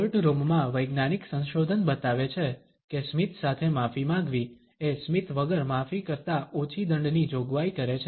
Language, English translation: Gujarati, Scientific research in courtrooms shows whether an apology of a with smile encores a lesser penalty with an apology without one